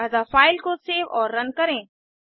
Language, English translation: Hindi, So save and run the file